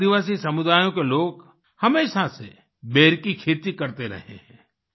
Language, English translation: Hindi, The members of the tribal community have always been cultivating Ber